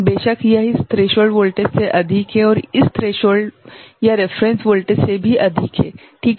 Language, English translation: Hindi, Of course, it is more than this threshold voltage and also more than this threshold or reference voltage, right